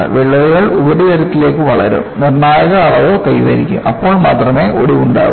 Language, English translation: Malayalam, The cracks will grow in surface, attain a critical dimension; only then, fracture will occur